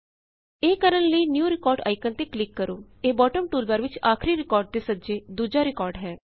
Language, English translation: Punjabi, To do this, click on the New Record icon, that is second right of the Last record icon in the bottom toolbar